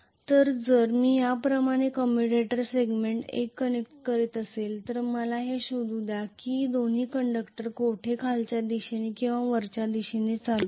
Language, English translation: Marathi, So if I am connecting commutator segment 1 like this let me look for where both conductors are carrying the current in either downward direction or upward direction